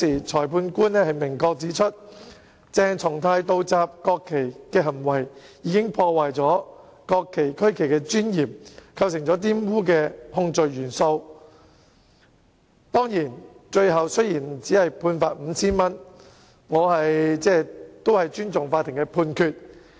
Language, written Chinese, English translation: Cantonese, 裁判官當時明確指出，鄭松泰議員倒插國旗的行為，破壞國旗區旗的尊嚴，符合玷污國旗區旗的控罪元素，雖然他最後只被判罰款 5,000 元，但我尊重法庭的判決。, At that time the trial Magistrate clearly pointed out that Dr CHENG Chung - tais act of inverting the national flag had tarnished the dignity of the national flag and regional flag which complied with the element of the offence of defiling the national flag and regional flag . Although consequently he was only fined 5,000 I respect the judgment of the Court